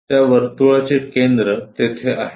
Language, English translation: Marathi, The center of that circle goes there